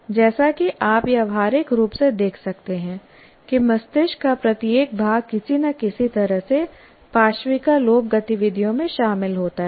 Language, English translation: Hindi, As you can see, practically every part of the brain is somehow involved in many of the activities that we do